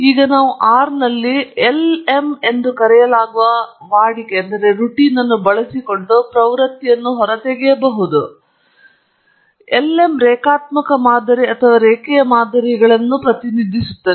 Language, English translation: Kannada, Now, we could extract the trend using what a routine known as lm in R, lm stands for linear modelling or linear models